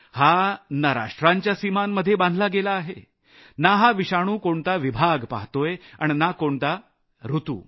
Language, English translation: Marathi, It is not confined to any nation's borders, nor does it make distinction of region or season